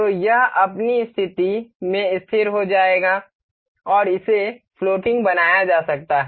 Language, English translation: Hindi, So, this will be fixed in its position and this can be made floating